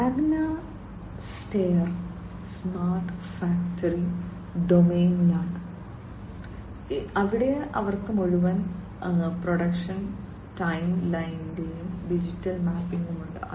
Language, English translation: Malayalam, Magna Steyr is in the smart factory domain, where they have digital mapping of entire production timeline